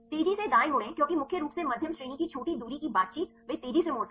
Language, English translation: Hindi, Fold fast right because the mainly medium range interaction short range interaction they fold fast